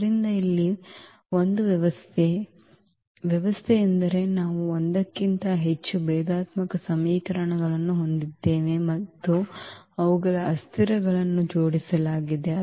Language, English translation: Kannada, So, here it is a system, system means we have a more than one differential equations and their variables are coupled